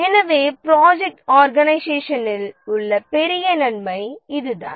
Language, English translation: Tamil, And that's a big advantage of the project organization is the job rotation